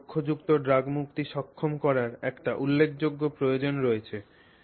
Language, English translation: Bengali, So, there is a significant need to enable targeted drug release